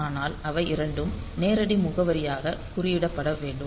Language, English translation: Tamil, So, we can use them as direct addresses